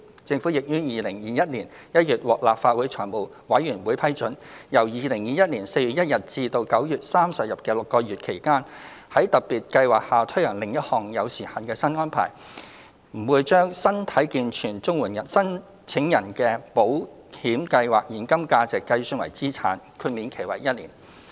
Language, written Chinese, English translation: Cantonese, 政府亦於2021年1月獲立法會財務委員會批准，由2021年4月1日至9月30日的6個月期間，在特別計劃下推行另一項有時限新安排，不把身體健全綜援申請人的保險計劃現金價值計算為資產，豁免期為1年。, To render further support to the unemployed the Government sought approval from the Legislative Council Finance Committee in January 2021 to implement another time - limited new arrangement under the special scheme during the six months of 1 April to 30 September 2021 . Specifically the cash value of insurance policies of able - bodied CSSA applicants will not be counted as assets during the grace period of one year